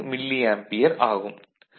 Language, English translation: Tamil, 8 milli ampere ok